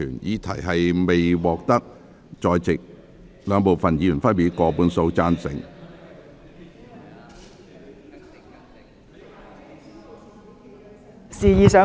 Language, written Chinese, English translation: Cantonese, 議題未獲得兩部分在席議員分別以過半數贊成......, Since the question is not agreed by a majority of each of the two groups of Members present